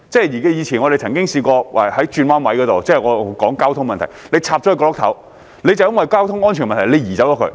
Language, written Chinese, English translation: Cantonese, 以前我們曾經試過在道路轉彎位的角落——我是說交通問題——懸掛國旗，政府便因為交通安全問題而把它移走。, We have tried displaying the national flag at the corner of a bend in the road in the past―I am referring to a traffic issue―and the Government removed it because of traffic safety concern